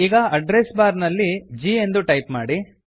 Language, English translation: Kannada, Now, in the Address bar, type the letter G